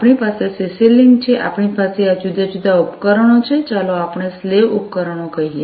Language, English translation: Gujarati, So, we have in CC link, we have we have these different devices, let us say the slave devices